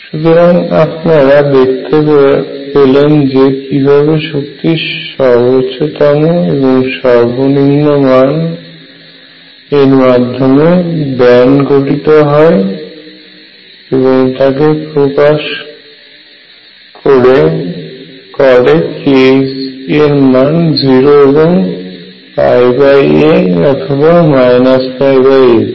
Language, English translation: Bengali, So, you can see how minimum and maximum of the energy bands exists at k equals 0 or k equals pi by a or minus pi by a